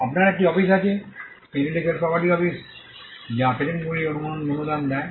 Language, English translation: Bengali, You have an office, the Intellectual Property Office which grants the patents